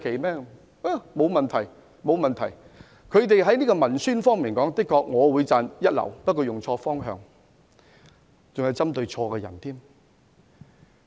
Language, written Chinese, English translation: Cantonese, 我會讚揚他們在文宣方面確是一流，但卻用錯方向，針對的人亦錯了。, I appreciate their first - class publicity effort but they have directed their effort to the wrong direction and have targeted at the wrong person